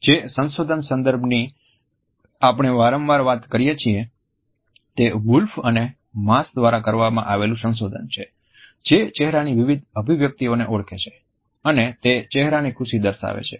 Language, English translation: Gujarati, The research which is often cited in this context is by Wolf and Mass which is identified various facial expressions which convey a happy face